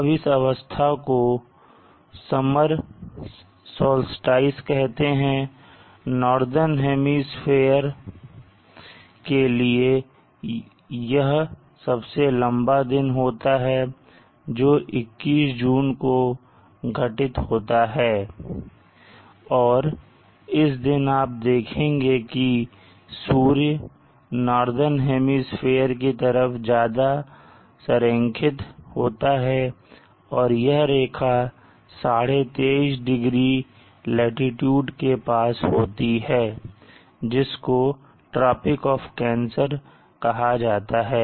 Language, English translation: Hindi, Now this position is call the summer solve sties for the northern hemisphere it is the longest day that will occur on June 21st and you will see that the sun allying more towards the northern hemisphere and the line passes through the 23 and 1/2 0 latitude which is the tropic of cancer